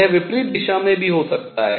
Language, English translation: Hindi, Not only that it could be in the opposite direction